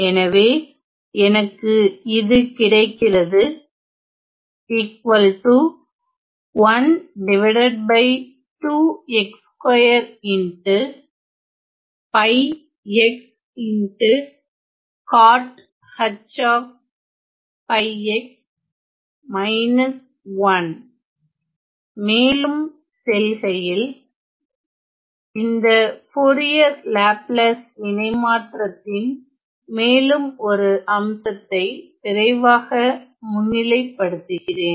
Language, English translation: Tamil, Moving on, moving on let me just quickly highlight one more aspect of this Fourier Laplace transform ok